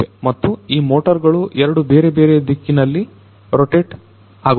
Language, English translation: Kannada, And, these motors they rotate in two different directions